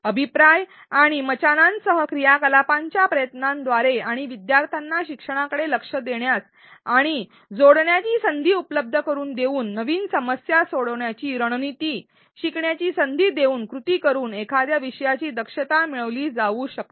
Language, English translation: Marathi, Proficiency in a topic can be gained by attempting activities with feedback and scaffolds and learning by doing activities contribute towards student learning by providing them opportunities to link and connect ideas and learn new problem solving strategies